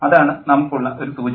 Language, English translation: Malayalam, That's the one indication that we have